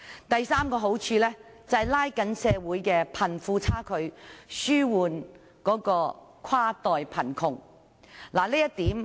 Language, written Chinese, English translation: Cantonese, 第三個好處是拉近社會的貧富差距，紓緩跨代貧窮。, The third benefit is that the disparity between the rich and the poor will be narrowed and cross - generational poverty be alleviated